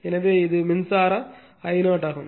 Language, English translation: Tamil, So, and this is the current I 0